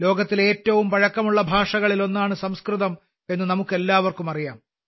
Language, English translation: Malayalam, We all know that Sanskrit is one of the oldest languages in the world